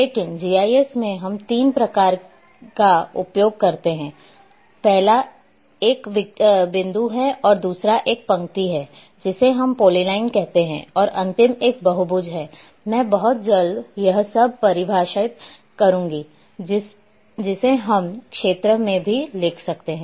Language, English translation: Hindi, The first one is the point and the second one is line or also we say polyline and last one is polygon I will be defining very soon all this or we can also write area